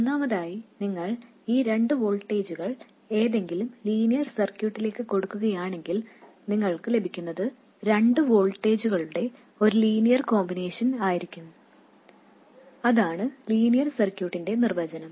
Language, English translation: Malayalam, First of all, if you throw these two voltages into any linear circuit, what you get will be a linear combination of the two voltages